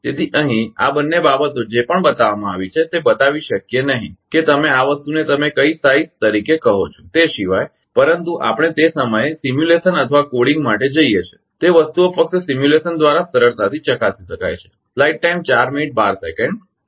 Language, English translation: Gujarati, So, whatever whatever whatever these two things are shown here that we cannot show you where without ah your what you call this thing as plus plus which size, but we go for simulation or coding at that time those things are easily be checked right the through simulation only